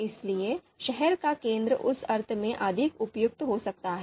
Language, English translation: Hindi, So therefore, city centre might be more suitable in that sense